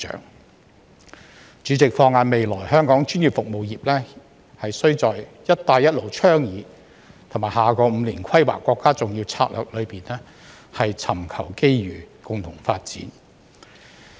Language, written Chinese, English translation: Cantonese, 代理主席，放眼未來，香港專業服務業須在"一帶一路"倡議和下個5年規劃國家重要策略中尋求機遇，共同發展。, Deputy President looking ahead I will say that Hong Kongs professional services industry must seek opportunities and joint development under the Belt and Road BR Initiative and the important state strategy for its next five - year plan